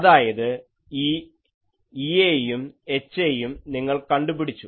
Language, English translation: Malayalam, So, that means, this E A, H A, you have found out